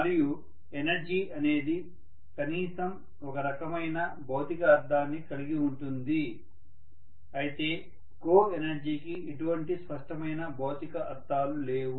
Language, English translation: Telugu, And energy has at least some kind of physical connotation whereas co energy does not have any clear physical connotation